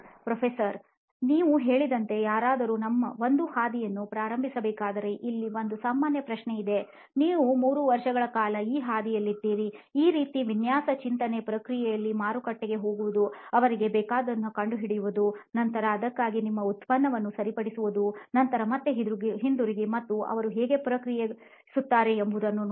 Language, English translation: Kannada, Here is a generic question, if somebody were to start out on a path like what you have said so you are here on this path for 3 years now where you have been doing this sort of design thinking ish process of going to the market, finding out what they want, then fixing your product for that, then going back again and seeing how they react